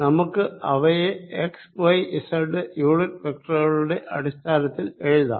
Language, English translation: Malayalam, let us write them in terms of x, y in z unit vectors